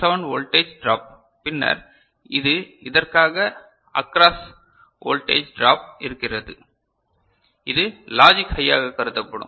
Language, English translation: Tamil, 7 voltage drop of this diode or so and then that is something voltage drop is occurring across this, which will be considered as logic high